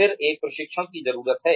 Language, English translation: Hindi, And, that results in a training need